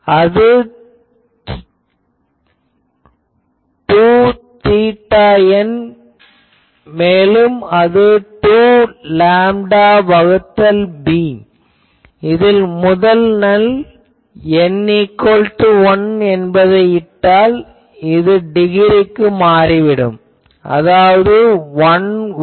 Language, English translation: Tamil, So, that will be 2 theta n and that will be 2 lambda by b put actually the first null so that n is equal to 1